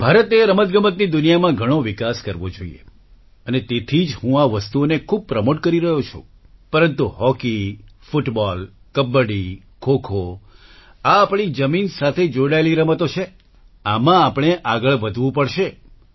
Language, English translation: Gujarati, India should bloom a lot in the world of sports and that is why I am promoting these things a lot, but hockey, football, kabaddi, khokho, these are games rooted to our land, in these, we should never lag behind